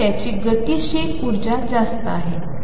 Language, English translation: Marathi, So, its kinetic energy is higher